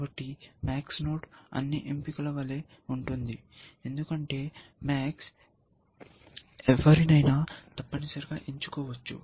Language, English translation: Telugu, So, a max node is like an all choice, because max can choose anyone essentially